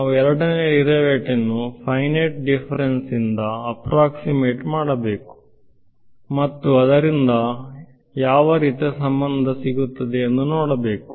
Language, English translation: Kannada, We should approximate the second derivatives by finite differences, and see what kind of relation results from it ok